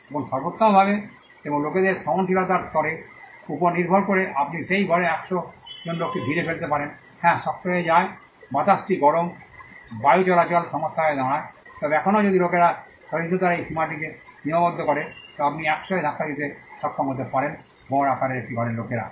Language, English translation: Bengali, Now at best and depending on the tolerance level of people you could cramp enclose to 100 people into that room yes it gets tough the air gets hot ventilation becomes a problem, but still if people tolerance limit this high you may be able to push in 100 people into a room of average size